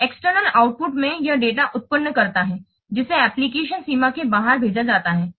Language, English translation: Hindi, And in external output, it generates data that is sent outside the application boundary